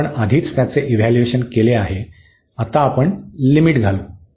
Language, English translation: Marathi, We have already evaluated this now we will put the limits